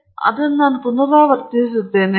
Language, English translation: Kannada, I will just repeat it for you